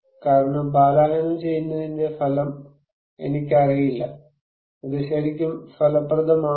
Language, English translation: Malayalam, Because, I really do not know the effect of evacuation, is it really effective